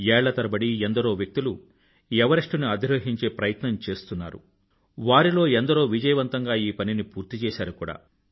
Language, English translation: Telugu, People have been ascending the Everest for years & many have managed to reach the peak successfully